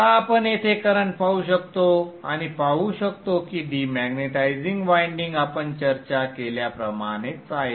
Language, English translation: Marathi, Now we can look at the currents here and see that the demaritizing winding is just like what we have discussed